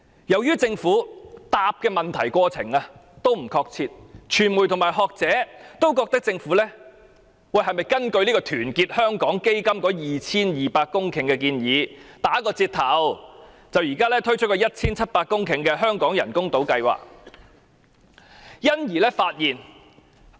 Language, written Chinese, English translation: Cantonese, 由於政府回覆問題時不確切，傳媒和學者也質疑，政府是否根據團結香港基金提出填海 2,200 公頃的建議，打個折頭，而推出目前 1,700 公頃的香港人工島計劃？, Since the Government has failed to give appropriate responses both the media and academics query whether the Government has adopted the proposal of Our Hong Kong Foundation of reclaiming 2 200 hectares of land and after making certain adjustment proposed the current plan of creating artificial islands by reclaiming 1 700 hectares of land